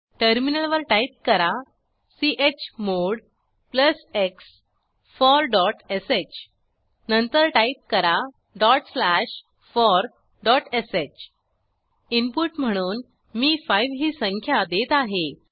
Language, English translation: Marathi, On the terminal type chmod +x for.sh Then type: ./for.sh I will enter 5 as the input number